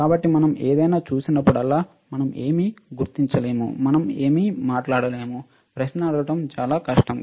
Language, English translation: Telugu, So, whenever we see anything we should be able to identify, until we cannot speak what is that very difficult to ask a question